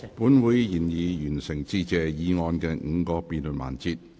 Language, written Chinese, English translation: Cantonese, 本會已完成致謝議案的5個辯論環節。, The five debate sessions on Motion of Thanks end